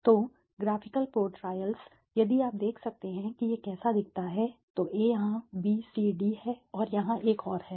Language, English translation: Hindi, So, graphical portrayals, if you can see this is how it looks, so A is here B,C,D is here another